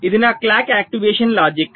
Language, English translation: Telugu, so this is my clock activation logic